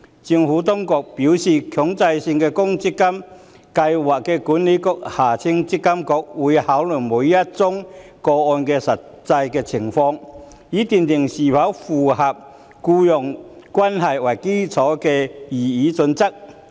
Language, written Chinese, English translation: Cantonese, 政府當局表示，強制性公積金計劃管理局會考慮每宗個案的實際情況，以斷定是否符合以僱傭關係為基礎的擬議準則。, The Administration has advised that the Mandatory Provident Fund Schemes Authority MPFA would consider the actual circumstances of each case to determine whether compliance with the proposed employment - based criterion is satisfied